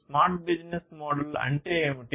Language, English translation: Telugu, What is the smart business model